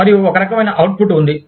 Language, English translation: Telugu, And, there is, some kind of output